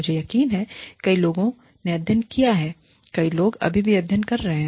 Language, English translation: Hindi, I am sure, many people have studied, many people are still studying, Bollywood